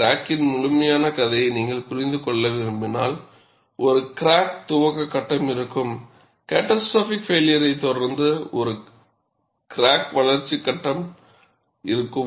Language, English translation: Tamil, If you want to understand the complete story of the crack, there would be a crack initiation phase, there would be a crack growth phase, followed by catastrophic failure